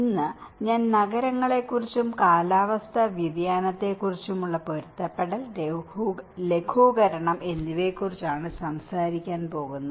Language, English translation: Malayalam, Today, I am going to talk about cities and climate change, adaptation and mitigation